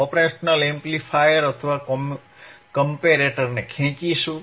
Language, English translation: Gujarati, wWe will drag the operation amplifier or a comparator